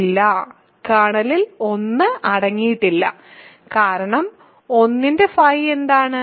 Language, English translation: Malayalam, No, kernel does not contain 1, because what is phi of 1